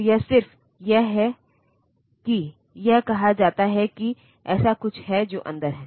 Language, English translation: Hindi, So, it is just an it is just said there is something like that is there inside